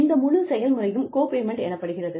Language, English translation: Tamil, And, this whole process is called copayment